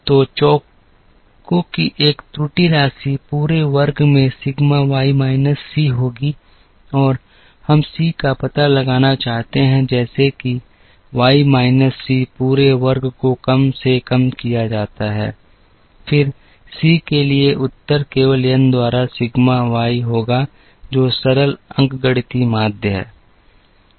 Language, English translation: Hindi, So, a error sum of squares will be sigma Y minus C the whole square and we want to find out C such that, Y minus C the whole square is minimized, then the answer for C will be simply sigma Y by n, which is the simple arithmetic mean